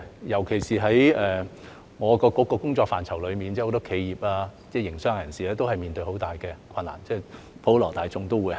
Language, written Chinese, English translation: Cantonese, 尤其是我局的工作範疇中，有很多企業、營商人士都面對很大的困難，普羅大眾也一樣。, From the standpoint of the Government we also Particularly as concerned with the areas of work of our Bureau many enterprises and businessmen are faced with great difficulties and so are the general public